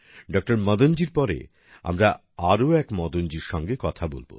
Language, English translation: Bengali, Madan ji, we now join another Madan ji